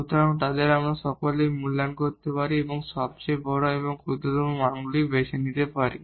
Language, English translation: Bengali, So, we can evaluate f at all of them and choose the largest and the smallest values